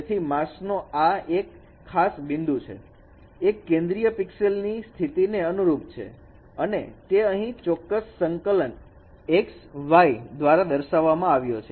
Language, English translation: Gujarati, So this, this, but one of the points in the mass is corresponds to the central pixel positions and that is shown here by this particular coordinate x, y